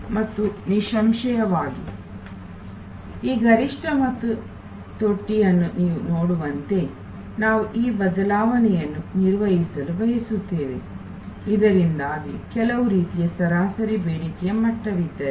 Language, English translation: Kannada, And obviously, we want to manage this variation as you see this peak and trough, so that if there is a some kind of an average demand level